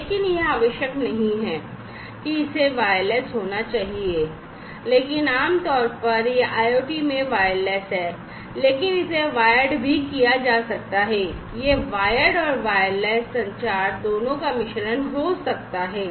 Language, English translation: Hindi, But it is not necessary that it has to be wireless, but typically, it is wireless in IOT, but it can be wired as well or, it can be a mix of both wired and wireless communication